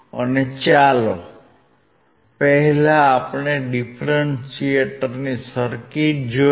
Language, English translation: Gujarati, And let us see the differentiator circuit first